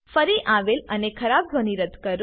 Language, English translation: Gujarati, Remove repeats and bad sound